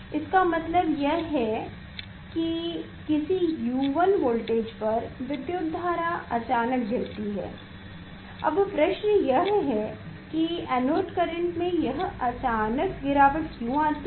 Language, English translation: Hindi, that means, at certain U 1 voltage it is suddenly this current dropped suddenly this current drops a question is why this sudden drop of the current anode current is coming